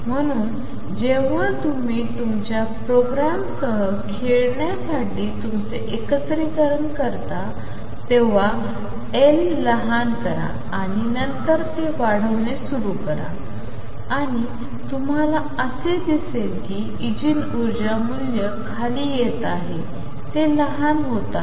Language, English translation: Marathi, So, when you do your integration to play around with your programme make L small and then start increasing it and you will see that the energy eigenvalue is coming down it is becoming smaller